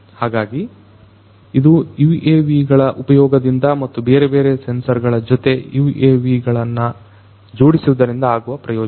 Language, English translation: Kannada, So, this is an advantage of the use of UAVs and fit these UAVs with these different sensors